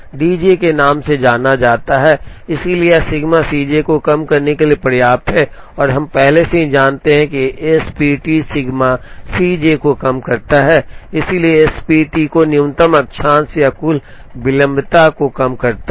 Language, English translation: Hindi, D j’s are known, so it is enough to minimize sigma C j and we already know that S P T minimizes sigma C j, so S P T also minimizes mean lateness or total lateness